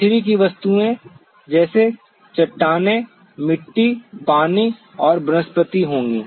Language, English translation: Hindi, The earth objects will be the rocks, soil, water and vegetation